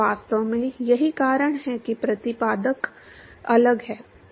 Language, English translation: Hindi, In fact, that is why the exponent is different